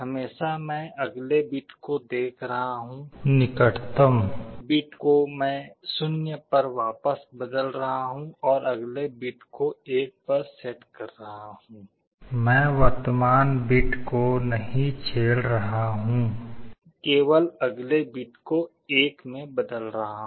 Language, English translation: Hindi, Always I am looking at the next bit, the immediate bit I am changing it back to 0 and setting the next bit to 1, or I am not disturbing the present bit just changing the next bit to 1